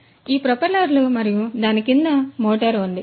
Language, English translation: Telugu, So, this is this propeller and below it is this motor right